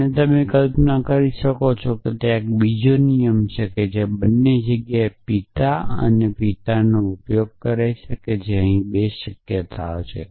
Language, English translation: Gujarati, And you can imagine that there is a another rule which uses father and father in both the places so that 2 possibilities here